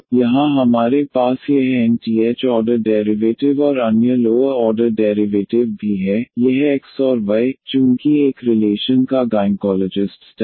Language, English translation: Hindi, So, here we have this nth order derivatives and other lower order derivatives also, this dependent variable x and y since a relation meaning is a differential equation the nth order differential equation